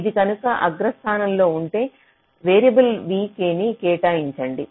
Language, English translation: Telugu, so if it is among the top one you assign a variable v k like this